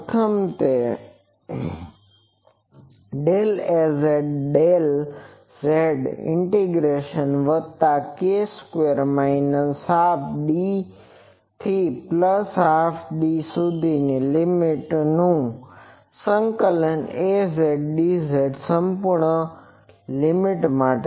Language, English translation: Gujarati, The first one will be that del Az del z one integration plus k square minus delta by 2 to delta by 2 Az dz for whole limit